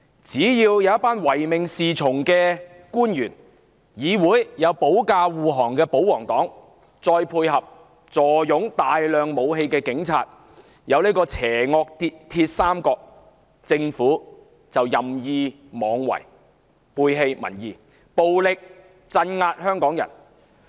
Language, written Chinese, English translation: Cantonese, 只因為有唯命是從的官員，在議會內保駕護航的保皇黨及坐擁大量武器的警方組成邪惡"鐵三角"，政府就任意妄為，背棄民意，暴力鎮壓香港人。, Emboldened by an evil triad―comprising public officials at its beck and call pro - Government Members who rush to its defence in the legislature and the Police which hoard a massive arsenal of weapons the Government feels free to take rash actions turn its back on public opinion and suppress Hongkongers brutally